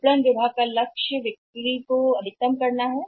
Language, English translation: Hindi, Target of the marketing department is that they shall maximize the sales